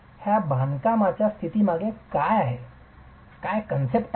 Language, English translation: Marathi, What is the story behind the stability of this construction